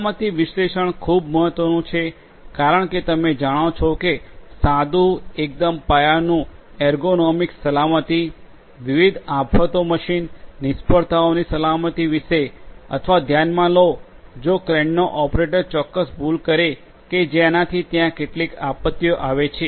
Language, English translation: Gujarati, Safety analytics is very important because you know talking about plain bare basic ergonomics safety to safety from different disasters machine failures you know or consider something like you know if the operator of a crane you know makes certain mistake what might so happen is basically there might be some disasters you know underneath